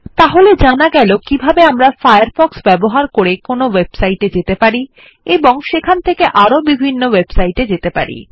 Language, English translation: Bengali, This is how we can visit websites using Firefox and then navigate to various pages from there